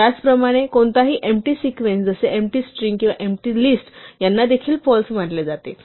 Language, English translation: Marathi, Similarly, any empty sequence such as the empty string or the empty list is also treated as false